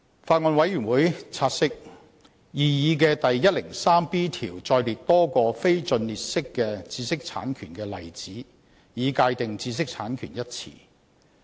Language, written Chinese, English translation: Cantonese, 法案委員會察悉，擬議的第 103B 條載列多個非盡列式的知識產權的例子，以界定"知識產權"一詞。, The Bills Committee notes that the proposed section 103B defines the term IPR by an non - exclusive list of examples of IPRs